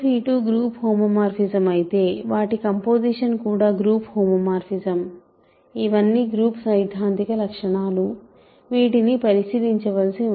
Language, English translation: Telugu, If phi 1 phi 2 are group homomorphism their composition is also group homomorphism, these are all group theoretic properties that one has to check